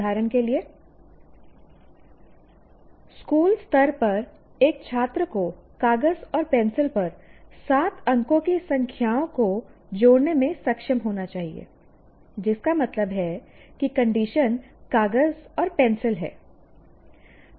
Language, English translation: Hindi, For example, at school level a student should be able to, let's say add the seven digit numbers on paper and pencil, which means the condition is paper and pencil